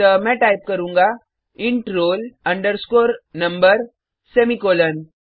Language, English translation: Hindi, So, I will type int roll underscore number semicolon